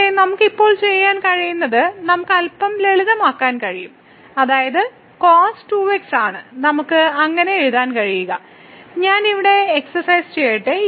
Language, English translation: Malayalam, But, what we can do now we can simplify a little bit so, which is we can write down as so, let me just workout here